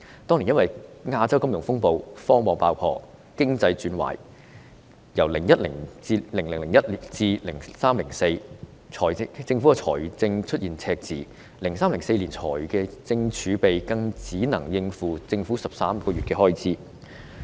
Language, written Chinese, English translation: Cantonese, 當年因為亞洲金融風暴、科網爆破，經濟轉壞等問題，因此政府在2001年至2004年出現財政赤字 ，2003-2004 年度財政儲備只能應付政府13個月開支。, Owing to the Asian financial turmoil the burst of the dotcom bubble and the economic downturn at that time the Government had fiscal deficits from 2001 to 2004 and the fiscal reserves in 2003 - 2004 could only meet government expenditures for 13 months